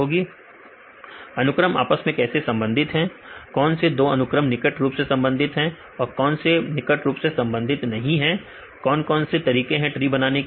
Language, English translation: Hindi, Distance between the How the sequence related which two sequence are closely related which ones are distant related right, So what are the various ways to construct the tree